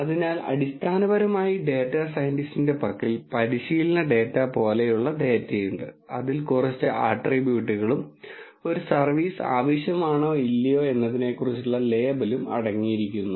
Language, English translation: Malayalam, So, essentially the data scientist has data which is like a training data for him which contains few attributes and with a label whether a service is needed or not